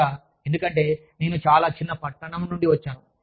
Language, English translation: Telugu, Especially, because, i come from a very small town